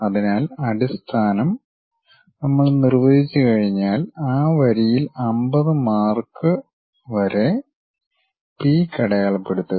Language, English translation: Malayalam, So, base once we have defined, along that line up to 50 marks point the peak